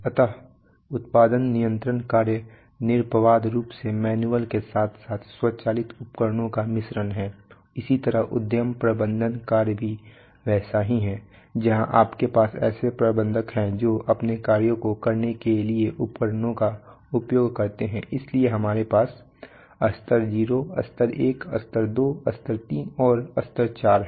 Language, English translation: Hindi, Invariably a mix of manual as well as automated tools, similarly enterprise management functions are also like that you have, you have managers who use tools for performing their functions so we have level 0 level 1 level 2 level 3 and level 4